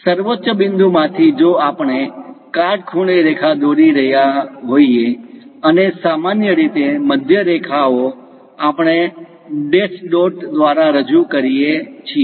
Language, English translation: Gujarati, From apex, if we are dropping a perpendicular, and usually centre lines we represent by dash dot convention